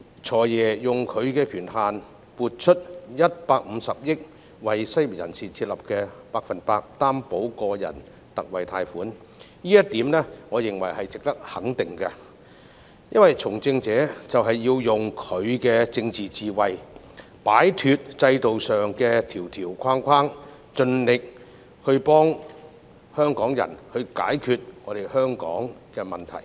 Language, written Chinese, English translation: Cantonese, "財爺"運用權限撥出150億元，為失業人士設立百分百擔保個人特惠貸款計劃，我認為這點值得肯定，因為從政者就是要用他的政治智慧，擺脫制度上的條條框框，盡力幫助香港解決問題。, FS exercised his authority to allocate 15 billion to set up a 100 % Personal Loan Guarantee Scheme for the unemployed . This is worthy of recognition because a person engaged in politics should use his political wisdom to cut the institutional red tapes and try his best to help Hong Kong solve various problems